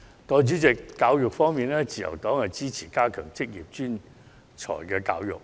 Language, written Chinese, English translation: Cantonese, 代理主席，在教育方面，自由黨支持加強職業專才教育。, Deputy President with regard to education the Liberal Party supports the strengthening of professional training